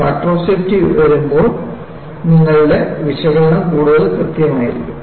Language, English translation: Malayalam, When you bring down the factor of safety, your analysis has to be more and more precise